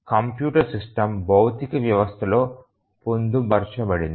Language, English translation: Telugu, So, the computer system is embedded within the physical system